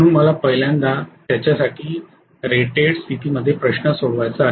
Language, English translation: Marathi, So let me first solve for it for rated condition